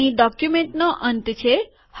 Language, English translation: Gujarati, This is the end of the document